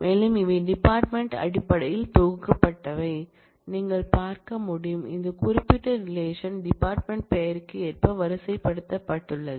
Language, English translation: Tamil, So, these are these are basically groupings by the department as you can see, that this particular relation has been sorted according to the department name